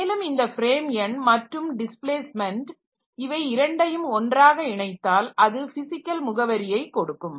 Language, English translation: Tamil, And this frame number and this displacement they will be combined together to give the, get the physical address